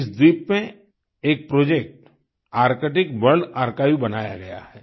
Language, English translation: Hindi, A project,Arctic World Archive has been set upon this island